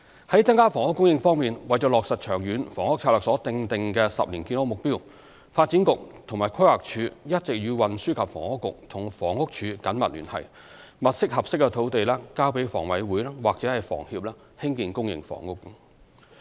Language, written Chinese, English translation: Cantonese, 在增加房屋供應方面，為落實《長遠房屋策略》所訂定的10年建屋目標，發展局和規劃署一直與運輸及房屋局和房屋署緊密聯繫，物色合適土地交予香港房屋委員會或香港房屋協會興建公營房屋。, As regards increase housing supply in order to meet the 10 - year housing supply target set out in the Long Term Housing Strategy the Development Bureau and the Planning Department have been working closely with the Transport and Housing Bureau and the Housing Department to identify and provide suitable land to the Hong Kong Housing Authority or the Hong Kong Housing Society for developing public housing